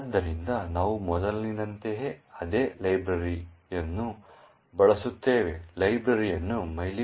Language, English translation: Kannada, So, we use exactly the same library as before, the library is called mylib